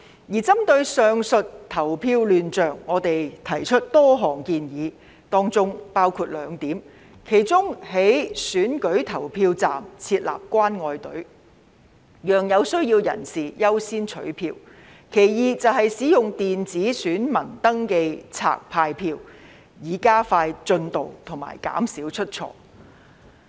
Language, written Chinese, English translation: Cantonese, 而針對上述的投票亂象，我們提出多項建議，當中包括兩點，其一是在選舉投票站設立"關愛隊"，讓有需要人士優先取票；其二是使用電子選民登記冊派票，以加快進度及減少出錯。, To address the said chaos in voting we put forward a number of proposals including two suggestions . One of them was to set up caring queues at polling stations to give priority to people in need in collecting ballot paper . The other one was to use electronic poll register to distribute ballot paper so as to expedite the process and minimize errors